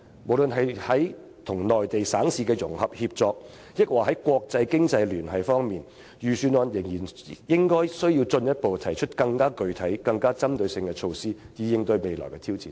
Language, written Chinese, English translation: Cantonese, 無論是在與內地省市的融合協作，還是在國際經濟聯繫方面，政府仍然需要進一步提出更具體、更具針對性的措施，以應對未來的挑戰。, The Government still needs to take a further step by proposing more specific and focused measures regarding its collaboration with Mainland provinces and cities as well as its international economic ties so as to cope with future challenges